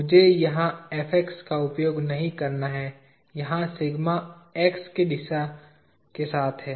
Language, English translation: Hindi, Let me ask not use Fx here sigma along x direction